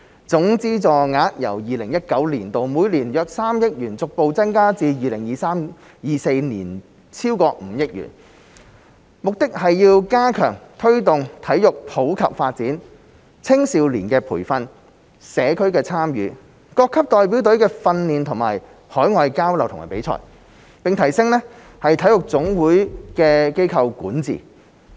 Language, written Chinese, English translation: Cantonese, 總資助額由 2019-2020 年度每年約3億元逐步增加至 2023-2024 年度超過5億元，目的是要加強推動體育普及發展、青少年培訓、社區參與、各級代表隊的訓練和海外交流與比賽，並提升體育總會的機構管治。, The total subvention will be progressively increased from about 300 million in 2019 - 2020 to more than 500 million in 2023 - 2024 . The additional allocation aims to enhance the promotion and development of sports in the community youth training programmes public participation squad training at all levels overseas exchange programmes and competitions; and enhance the corporate governance of NSAs